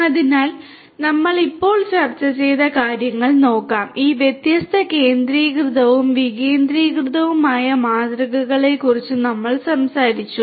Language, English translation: Malayalam, So, let us look at what we have just discussed so, we talked about we talked about this different centralized and decentralized models